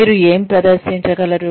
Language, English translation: Telugu, What you are able to demonstrate